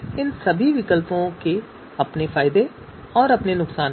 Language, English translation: Hindi, So all these alternatives they have their own pluses and minuses